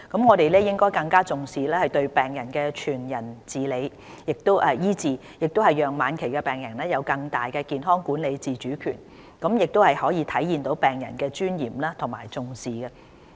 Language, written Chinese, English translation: Cantonese, 我們應更重視對病人的全人醫治，讓晚期病人有更大的健康管理自主權，體現對病人的尊嚴的重視。, A holistic approach in the provision of health care services therefore should become more and more important . Such an approach gives terminally - ill patients a greater degree of autonomy to manage their own health as well as the full respect they deserve